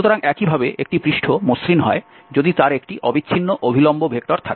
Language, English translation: Bengali, So, similarly, a surface is smooth if it has a continuous normal vector